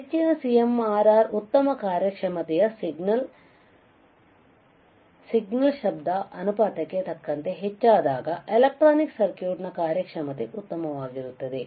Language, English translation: Kannada, Higher CMRR better the better the performance signal, higher signal to noise ratio better the performance of electronic circuit all right